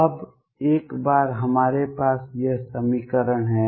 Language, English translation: Hindi, Now, once we have this equation